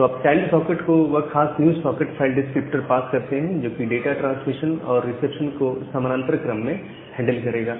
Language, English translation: Hindi, So, you pass that particular new socket file descriptor to the child socket, which will handle data transmission and reception in parallel